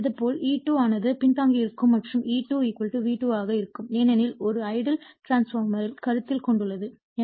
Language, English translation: Tamil, Similarly, E2 also will be the same way E2 also will be lagging and E2 = V2 because loss your what you call we are we have considering an ideal transformer right